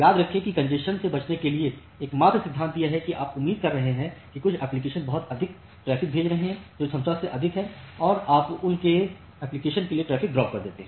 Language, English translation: Hindi, So, remember that to avoid the congestion, the only principle is that if you are expecting that certain application is sending too much traffic which is more than the capacity then you drop the traffic for those applications